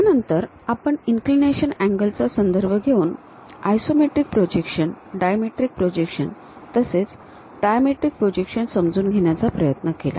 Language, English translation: Marathi, Then we try to understand what is an isometric projection, a dimetric projection, and trimetric projection in terms of the inclination angles